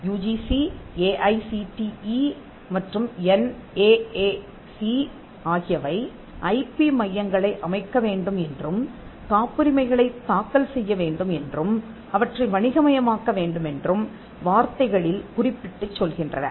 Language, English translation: Tamil, The UGC, AICTE and NAAC has mentioned in many words they need to set up IP centres and to be filing patterns and even to commercialize them